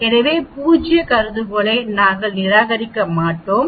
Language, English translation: Tamil, So we can reject the null hypothesis